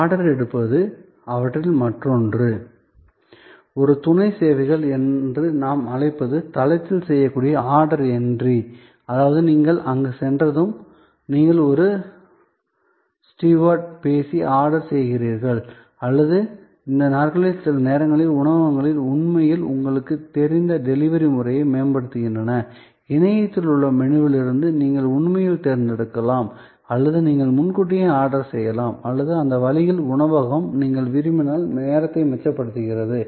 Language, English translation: Tamil, What, we call a supporting services is order entry, which can be done on site, that means, when you reach there and you talk to a steward and place an order or these days sometimes restaurants are actually enhancing their, you know delivery process, where you can actually select from a menu on the web and you can pre order and that way, the restaurant saves time, you save time, if it is so desired